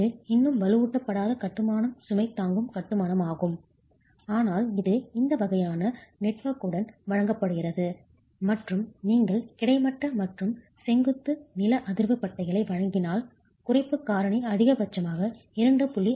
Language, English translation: Tamil, It's still an unreinforced masonry load bearing construction, provided with this sort of a network and if you were to provide horizontal and vertical seismic bands the reduction factor goes up as high as 2